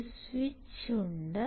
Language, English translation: Malayalam, there is a switch